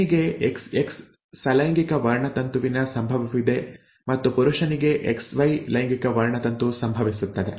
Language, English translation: Kannada, The female has an XX sex chromosome occurrence and the male has a XY sex chromosome occurrence